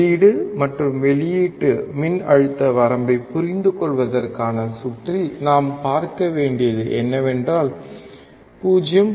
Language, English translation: Tamil, The circuit for understanding input and output voltage ranges what we have to see is, if we apply input voltage of 0